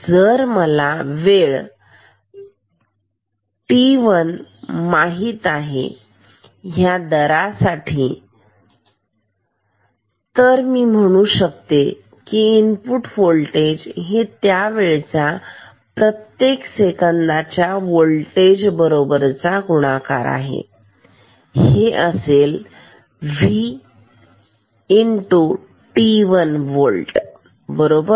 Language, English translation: Marathi, If, I know this time t 1 and this rate ok, then I can say that the input voltage is same as t 1 second multiplied by v volt per second same as v t 1 volt right